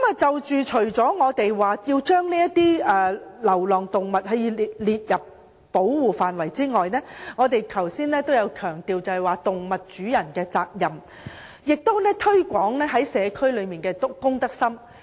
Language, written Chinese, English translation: Cantonese, 除了要把流浪動物納入保護範圍內，我們也強調動物主人的責任，以及提高社區人士的公德心。, In addition to including stray animals in the scope of protection we also emphasize the responsibilities of animal owners as well as the need to improve the communitys sense of civic - mindedness